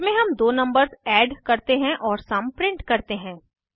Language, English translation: Hindi, In this we add the two numbers and print the sum